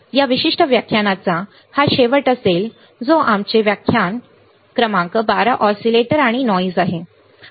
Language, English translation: Marathi, So, this will be the end of this particular lecture which is our lecture number 12 oscillators and noise